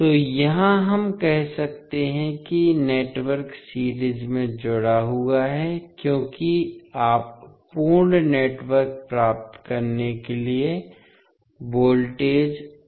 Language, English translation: Hindi, So, here we can say that the network is connected in series because you are adding up the voltages to get the complete network